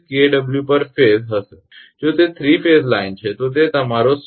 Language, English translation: Gujarati, 34 kilowatt per phase if it is a 3 phase line then it will be your 16